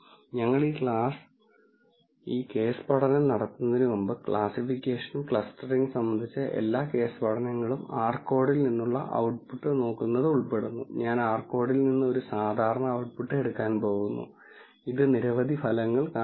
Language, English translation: Malayalam, However, before we do this case study since all the case studies on classification and clustering will involve looking at the output from the r code, I am going to take a typical output from the r code and there are several results that will show up